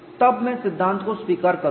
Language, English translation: Hindi, Then I will accept the theory